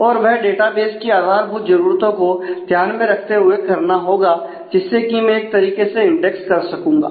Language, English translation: Hindi, So, that will be that will be measured against the basic requirements of the database that is I should be able to index in a way